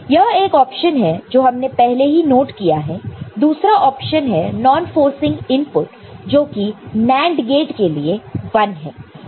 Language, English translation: Hindi, That is this is one option we have already noted over here right, the other option is non forcing input for a NAND gate is 1 right